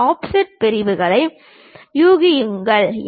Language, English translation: Tamil, Guess those offset sections